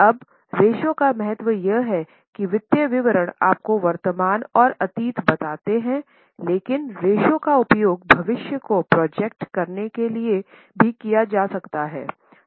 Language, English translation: Hindi, Now the importance of ratios is that the financial statements tell you about the present and the past but the ratios can be used even to project the future